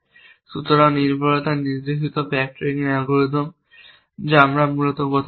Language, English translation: Bengali, So, dependency directed backtracking algorithm that we are talking about essentially and there are some other things that we will discuss